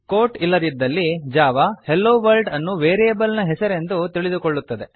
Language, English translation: Kannada, Without the quotes, Java thinks that HelloWorld is the name of a variable